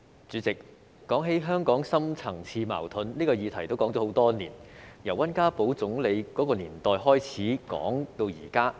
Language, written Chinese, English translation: Cantonese, 主席，提到香港的深層次矛盾，這個議題已討論很多年，由溫家寶總理的年代開始討論至今。, President the subject of deep - seated conflicts in Hong Kong has been discussed for many years since the time of Premier WEN Jiabao